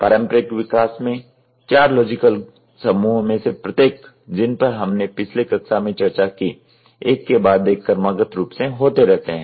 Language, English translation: Hindi, In the traditional development environment each of the four logical groups which we discussed in the last class occurs sequentially one after the other after the other after the other